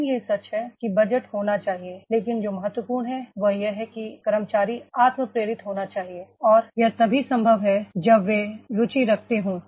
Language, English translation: Hindi, ) But it is true budget has to be there but what is important is that, that is the employee should be self motivated and that is only possible when they are having the interest